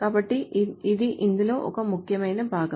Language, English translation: Telugu, This is an important part